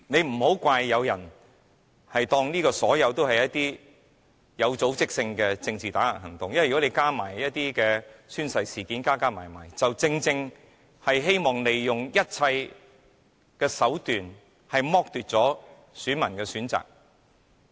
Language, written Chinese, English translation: Cantonese, 不要怪責有些人把所有事都視作有組織的政治打壓行動，因為此事再加上宣誓事件，全部做法均是希望利用一切手段來剝奪選民的選擇。, Please do not blame some people for regarding everything as organized political suppression because all actions taken in this case coupled with the oath - taking incident seek to denigrate by every means the choice made by voters